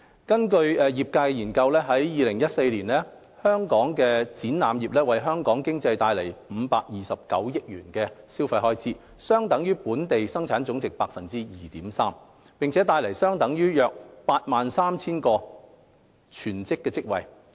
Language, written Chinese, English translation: Cantonese, 根據業界研究，在2014年，香港展覽業為香港經濟帶來529億元消費開支，相等於本地生產總值 2.3% 及約 83,000 個全職職位。, According to a study conducted by the industry in 2014 the exhibition industry in Hong Kong generated a consumption expenditure of 52.9 billion to the Hong Kong economy equivalent to 2.3 % of the Gross Domestic Product and around 83 000 full - time equivalent employment opportunities